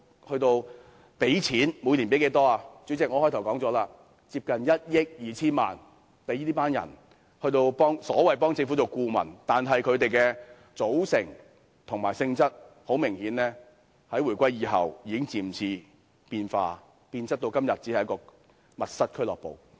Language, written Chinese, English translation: Cantonese, 主席，我在我的開場白提到，花費接近1億 2,000 萬元聘請這些人擔任所謂政府顧問，但很明顯，他們的組成及性質在回歸後已逐漸變質，到今天只變為一個"密室俱樂部"。, Chairman as mentioned in my opening remarks nearly 120 million is spent on hiring these people as so - called advisers to the Government but obviously their composition and nature have gradually changed since the reunification . Today they have merely turned out to be a backroom club . In my view such spending of money does not worth its while at all